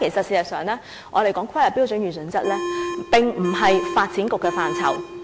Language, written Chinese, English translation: Cantonese, 事實上，如果我們談論規劃標準與準則，這並非發展局的範疇。, In fact insofar as the planning standards and guidelines are concerned they are not within the ambit of the Development Bureau